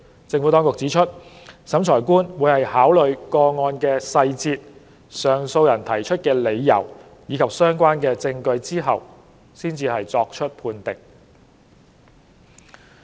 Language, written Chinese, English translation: Cantonese, 政府當局指出，審裁官會在考慮個案的細節、上訴人提出的理由和相關證據後作出判定。, The Administration has pointed out that the Revising Officer would make a ruling after considering the details of the case the grounds advanced by the appellant and relevant evidence